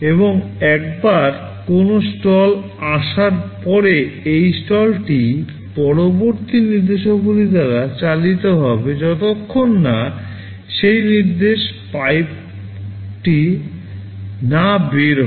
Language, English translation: Bengali, And once a stall is there this stall will be carried by all subsequent instructions until that instruction exits the pipe